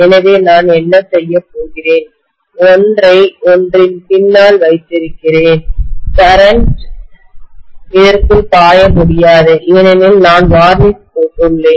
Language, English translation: Tamil, So what I am going to do is, I have put one behind the other, the current cannot flow into this because I have put varnish